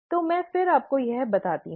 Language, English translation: Hindi, So, let me again tell you this